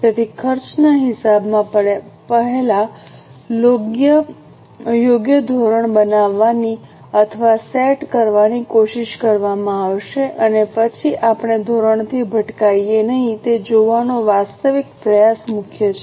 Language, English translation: Gujarati, So, in cost accounting, the efforts will be made first to make or set a correct standard, then measure the actual, try to see that we do not deviate from the standard